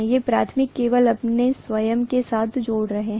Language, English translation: Hindi, These are only linking with its own self, the primary only